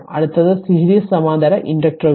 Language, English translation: Malayalam, Next is series and parallel inductors right